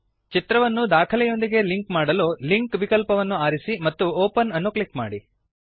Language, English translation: Kannada, To link the image to your document, check the Linkoption and click Open